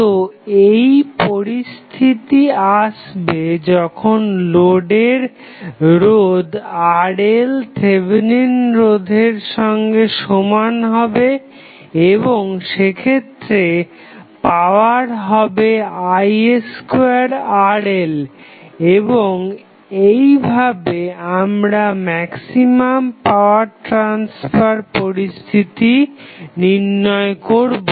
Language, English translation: Bengali, So, that condition comes when Rl that is the load resistance is equal to Thevenin resistance and we stabilize that the power is nothing but I square Rl and we derived the maximum power transfer condition